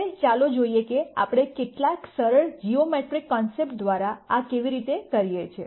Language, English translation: Gujarati, Now let us proceed to see how we do this through some simple geometric concept